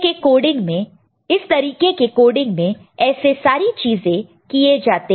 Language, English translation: Hindi, So, this is the way things are done in this kind of coding